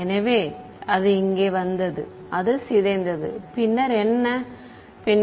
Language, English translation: Tamil, So, it came over here it decayed then what, then first of all